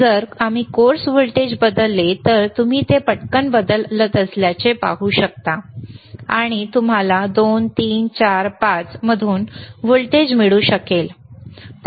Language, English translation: Marathi, So, Iif we change the course voltage, you will see can you please change it see you can you can quickly see it is changing and you can get the voltage from 2, 3, 4, 5